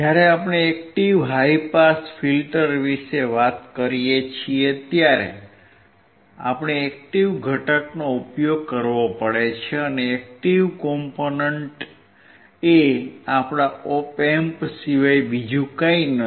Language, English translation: Gujarati, When we talk about active high pass filter, we have to use active component, and active component is nothing but our Op Amp